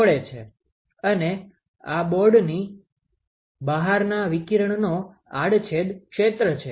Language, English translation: Gujarati, And, if the cross sectional area of radiation outside the board